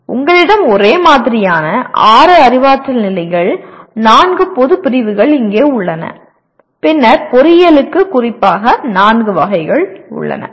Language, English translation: Tamil, The table looks like you have the same, 6 cognitive levels, 4 general categories here and then 4 category specific to engineering